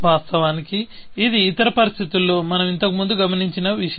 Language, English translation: Telugu, Of course, this is something that we have observed earlier, in other situations